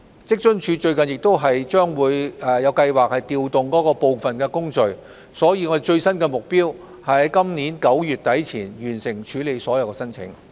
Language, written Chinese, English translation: Cantonese, 職津處最近亦有計劃調動部分工序，所以最新的目標是於今年9月底前完成處理所有申請。, With the recent plan on re - arranged workflow the latest aim of WFAO is to complete the processing of all applications by late September this year